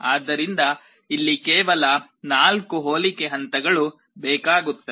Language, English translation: Kannada, So, here only 4 comparison steps are required